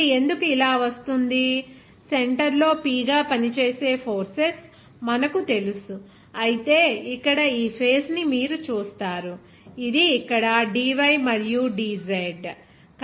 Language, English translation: Telugu, Why it is coming like this, you know that forces acting at the center as P whereas you will see that since this face here this what face we can say here, this is simply that here dy and dz, dydz